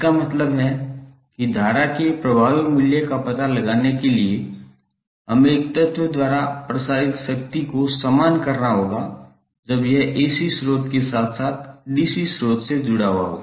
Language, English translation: Hindi, It means that to find out the effective value of current we have to equate the power dissipated by an element when it is connected with AC source and the DC source